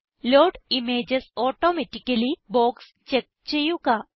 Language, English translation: Malayalam, Check the Load images automatically box